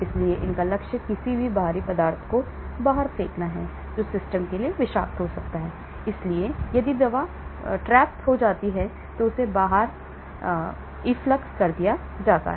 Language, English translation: Hindi, so the goal of it is to throw out any foreign substances which may be toxic to the system and so if the drug gets caught, it may also get thrown out